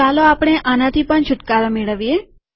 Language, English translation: Gujarati, Let us get rid of this also